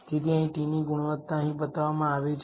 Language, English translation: Gujarati, So, here the quality of the t is shown here